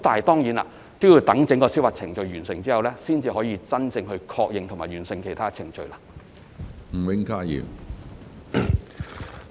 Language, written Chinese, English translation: Cantonese, 當然，要待整個司法覆核程序完成後，才可以真正確認及完成其他程序。, Of course the other procedures can only be confirmed and finalized upon completion of the entire judicial review